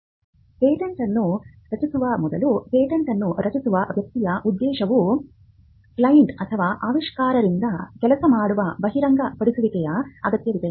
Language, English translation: Kannada, Getting a working disclosure: Before drafting a patent, the objective of a person who drafts a patent will be to get a working disclosure from the client or the inventor